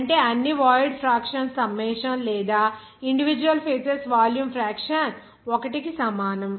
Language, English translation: Telugu, That means the summation of all void fraction or volume fraction of individual phases will be equals to 1